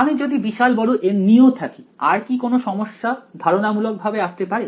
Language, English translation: Bengali, Even if I fix a large number of N, is there any other problem conceptually that you can see